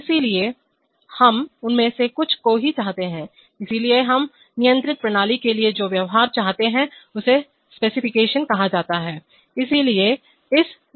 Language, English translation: Hindi, So we want only some of them, so what is the behavior that we want for the controlled system, that is called the specification